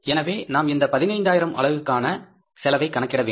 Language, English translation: Tamil, So we will have to calculate this cost